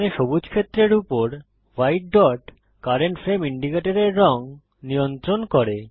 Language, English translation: Bengali, The white dot here over the green area controls the colour of the current frame indicator